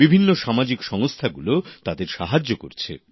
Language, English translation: Bengali, Many social organizations too are helping them in this endeavor